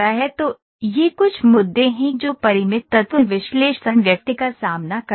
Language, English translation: Hindi, So, these are the certain issues that Finite Element Analysis person faces